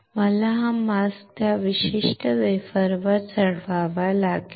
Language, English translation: Marathi, I had to load this mask on that particular wafer